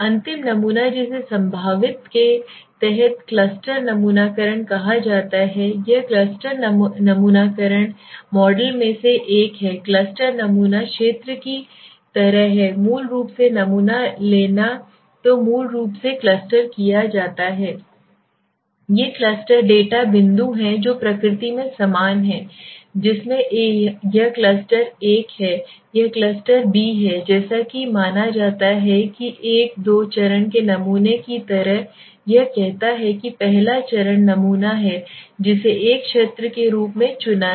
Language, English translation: Hindi, The last sampling that is called the cluster sampling right under the probabilistic this is the last one so in cluster sampling model what is happening there are cluster sampling is like area sampling basically so what is the basically a cluster cluster is something like this is a cluster okay These are the clusters there are the data points are the repondence are very similar in nature okay are very similar in which this is cluster A this is cluster B as assumed so what are you saying it is like a two stage sampling it says the first stage is sample which has chosen as I said as a area sampling